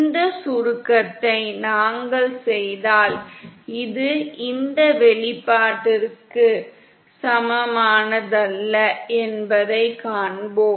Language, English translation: Tamil, and if we do this summation we will find that this is not equal to this expression